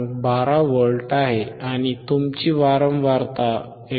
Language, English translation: Marathi, 12V, and your frequency is frequency is 159